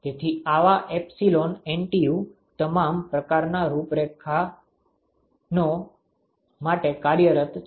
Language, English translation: Gujarati, So, such epsilon NTU has been worked out for all kinds of configurations